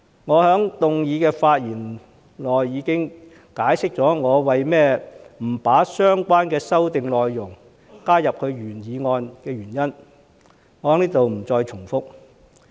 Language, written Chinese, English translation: Cantonese, 我在原議案的發言時已解釋過，我不把相關修訂內容加入原議案的原因，在這裏我不再重複。, Since I have already explained the reason why I do not incorporate the relevant amendments into my original motion when I spoke on the original motion so I am not going to repeat here